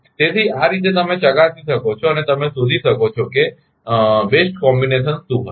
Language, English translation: Gujarati, So, this way you can test and you can find out what will be the best combination